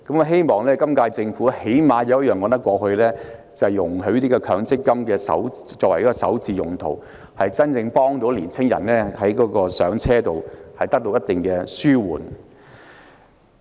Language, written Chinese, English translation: Cantonese, 希望今屆政府能有一項措施是可以說得過去的，就是容許以強積金滾存作為首置之用，真正紓緩年青人在"上車"方面的困難。, I hope that the current - term Government will have an acceptable measure that allows the use of accumulated MPF benefits for starter home purchase so as to genuinely relieve the home purchase difficulties of young people